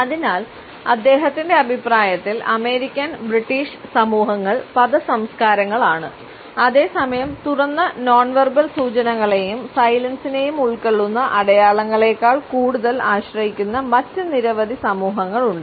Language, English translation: Malayalam, So, in his opinion the American and British societies are word cultures whereas, there are many other societies which rely more on open nonverbal cues and signs which include silence also